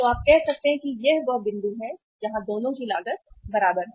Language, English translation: Hindi, So you say this is point where both the costs are equal